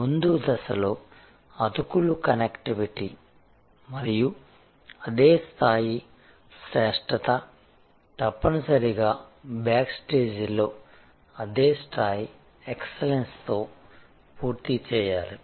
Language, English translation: Telugu, The seamless connectivity and the same level of excellence at the front stage must be complimented by that same level of excellence at the back stage